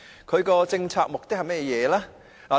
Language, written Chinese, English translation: Cantonese, 它的政策目的是甚麼？, What is its policy objective?